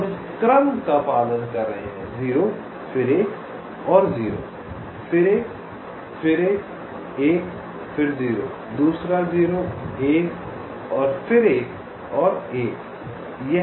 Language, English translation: Hindi, we are following this sequence: zero, then another zero, then a one, then another one, then a zero, another zero, one, then another one, and so on